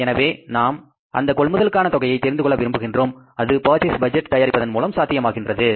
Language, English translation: Tamil, We want to know the amount of purchases and that will be possible to be known by preparing the purchase budget